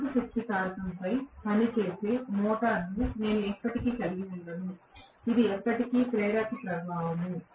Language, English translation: Telugu, I will never ever have an induction motor working on leading power factor; it is an inductive effect always